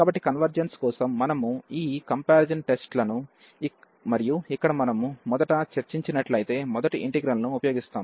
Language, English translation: Telugu, So, for the convergence, we will use this comparison test and for the first integral here, if we discussed first